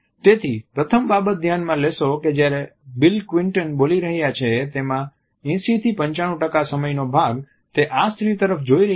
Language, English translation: Gujarati, So, the first thing you will notice and throughout this is that probably 90 to 95 percent of the time that bill Clinton is speaking, he is looking directly at this woman